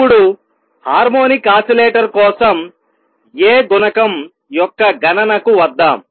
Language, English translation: Telugu, Now, let us see come to calculation of A coefficient for a harmonic oscillator